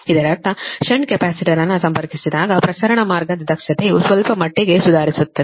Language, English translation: Kannada, that means when you connect the shunt capacitor, that transmission line efficiency improves to some extent right